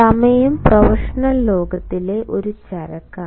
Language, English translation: Malayalam, in a professional world, time is a commodity